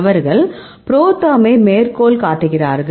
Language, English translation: Tamil, So, they also cite the ProTherm